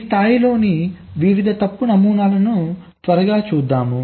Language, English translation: Telugu, so let us quickly look at the various fault models at this levels